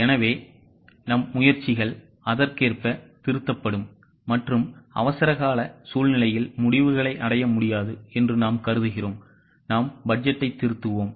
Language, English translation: Tamil, So, our efforts will be accordingly revised and in an emergency situation where we feel that it is impossible to achieve the results, we will revise the budget